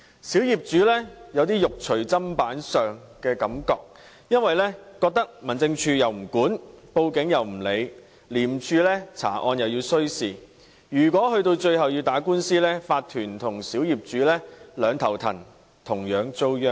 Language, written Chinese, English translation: Cantonese, 小業主有"肉隨砧板上"的感覺，因為民政事務總署又不管，警方也不受理，廉政公署查案亦需時，最後如果要打官司，業主立案法團與小業主便要四處奔波，同樣遭殃。, The small property owners feel to be at the mercy of others because the Home Affairs Department simply does not care and the Police refuse to follow up their cases and investigations by the Independent Commission Against Corruption ICAC take time . If at the end of the day their cases have to be taken to court the owners corporations OCs and small property owners will have to run around to make preparations meaning that they will equally suffer